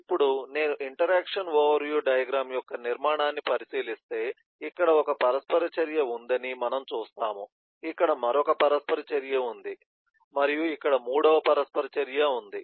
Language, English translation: Telugu, Now if I look at the structure of the interaction overview diagram, we will see that there is one interaction here, there is another interaction here and there is a third interaction here